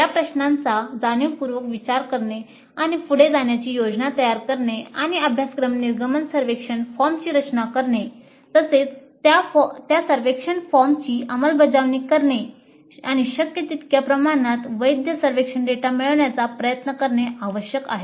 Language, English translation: Marathi, So it is necessary to consider these issues consciously plan ahead and design the course exit survey form as well as administer that survey form and try to get data which is to the greatest extent possible valid survey data